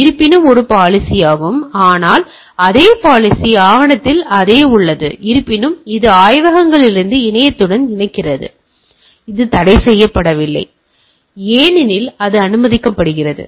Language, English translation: Tamil, However, this is a policy however the same in the same policy document that is there; however, that connects in from labs to the internet it is not restricted, because that is allowed